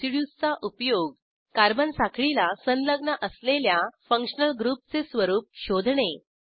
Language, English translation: Marathi, Residues are used to, * Find the nature of functional group attached to carbon chain